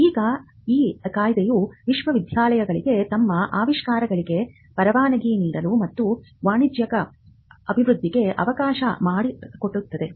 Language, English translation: Kannada, Now, this act allowed universities to license their inventions and to commercially development